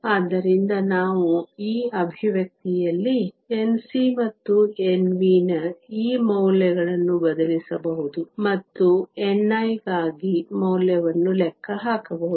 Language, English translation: Kannada, So, we can substitute these values of N c and N v in this expression and calculate the value for n i